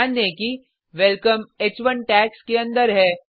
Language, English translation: Hindi, Notice that Welcome is within h1 tags